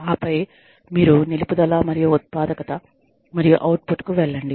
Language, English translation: Telugu, And then, you move on to, retention, and productivity, and output